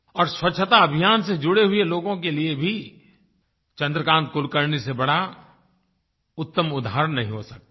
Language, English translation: Hindi, And for the people who are associated with the Cleanliness Campaign also, there could be no better inspiring example than Chandrakant Kulkarni